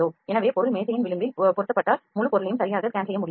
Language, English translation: Tamil, So, if the object is mounted at the edge of the table it may not be possible to scan the entire object correctly